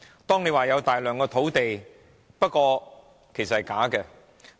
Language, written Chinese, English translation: Cantonese, 政府說有大量土地，不過是假的。, The Government claims to have plenty of land but that is a lie